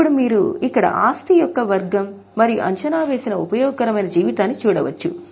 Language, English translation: Telugu, Now you can see here type of the asset and estimated useful life